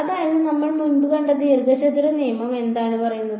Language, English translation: Malayalam, So, the rectangle rule that we saw earlier what did it say